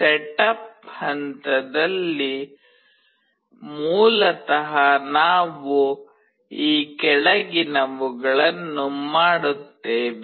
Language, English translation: Kannada, In the setup phase, you basically we do the following